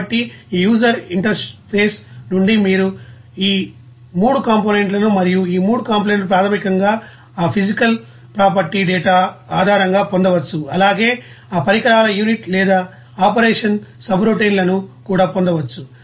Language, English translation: Telugu, So, from this user interface you can get these 3 components and these 3 components basically based on that physical property data, and also that equipment unit or operation subroutines there